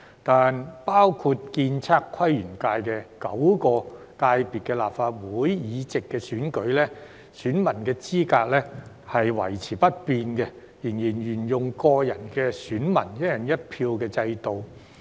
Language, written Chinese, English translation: Cantonese, 但包括建築、測量、都市規劃及園境界等9個界別的立法會議席選舉，選民資格維持不變，仍然沿用個人選民"一人一票"制度。, However the eligibility of electors for nine FCs including the architectural surveying planning and landscape ASPL FC will remain unchanged to be returned by individual electors on a one person one vote basis